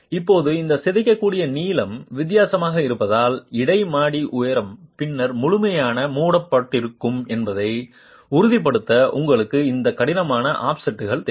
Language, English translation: Tamil, Now this deformable length being different, you need these rigid offsets to ensure that the interstory height is then completely covered and that makes it uniform across the different frame elements